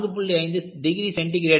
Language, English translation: Tamil, 5 degree centigrade